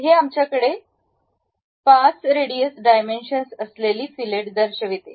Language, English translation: Marathi, It shows the dimension also with 5 radius we have that fillet